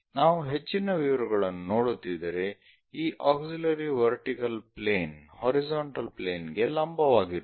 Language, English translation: Kannada, If we are looking at more details this auxiliary vertical plane perpendicular to horizontal plane